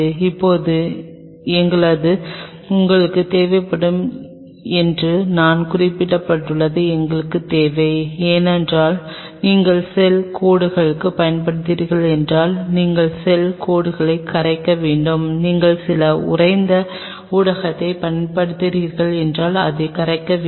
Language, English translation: Tamil, Now we needed something what I have an mentioned you will be needing somewhere, because you have to thaw the cells if you are using cell lines you have to thaw the cell lines, if you are using some frozen medium you have to thaw it